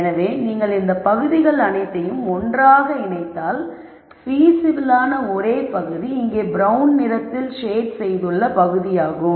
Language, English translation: Tamil, So, if you put all of these regions together the only region which is feasible is shaded in brown colour here